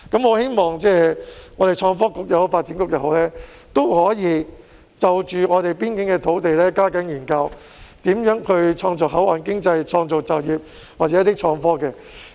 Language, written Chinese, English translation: Cantonese, 我希望創新及科技局或發展局可以就着邊境的土地加緊研究如何創造口岸經濟、創造就業或創新科技。, I hope that the Innovation and Technology Bureau or the Development Bureau will step up their efforts to study how to create a port economy jobs or innovative technology in relation to the land in the boundary area